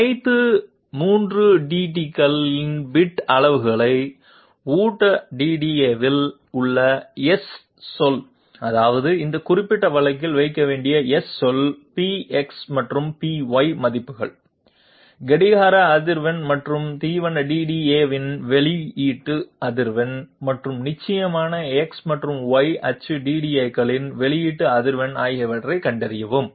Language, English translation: Tamil, Find out the bit sizes of all 3 DDAs, the S word in the feed DDA that means the S word which has to be put in this particular case, the values of px and py, the clock frequency and the output frequency of feed DDA and of course the output frequency of x and y axis DDA